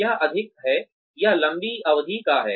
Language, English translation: Hindi, It is more, it is of a longer duration